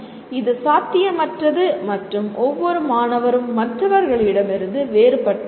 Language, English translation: Tamil, It is impossible and each student is different from the other